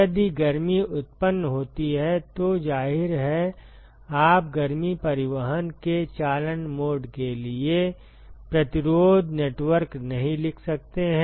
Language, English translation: Hindi, If there is heat generation, obviously, you cannot write resistance networks for conduction mode of heat transport